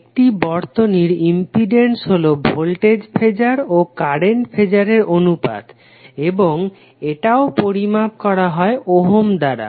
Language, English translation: Bengali, The impedance of a circuit is the ratio of voltage phasor and current phasor and it is also measured in ohms